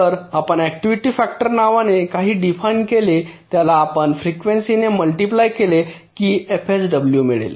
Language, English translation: Marathi, so we define something called an activity factor which if we multiplied by the frequency we get f sw